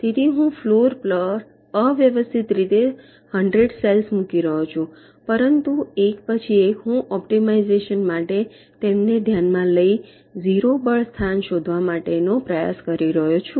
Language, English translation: Gujarati, so i am randomly placing the hundreds cells on the floor, but one by one i am considering them for optimization, trying to find out the zero force location